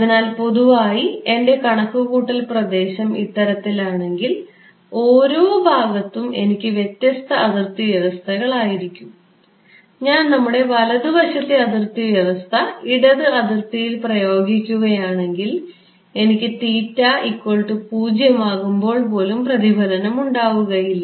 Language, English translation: Malayalam, So, in general if my computational domain is something like this, I have different boundary conditions on each of these segments, if I use our right handed boundary condition on the left boundary, I will it is, I will not get even 0 reflection at theta is equal to 0